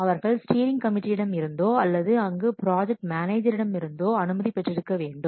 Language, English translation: Tamil, So, they have to get permission either from the project manager or from the steering committee